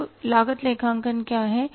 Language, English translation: Hindi, What is now the cost accounting